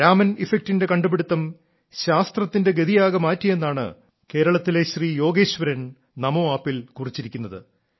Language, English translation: Malayalam, Yogeshwaran ji from Kerala has written on NamoApp that the discovery of Raman Effect had changed the direction of science in its entirety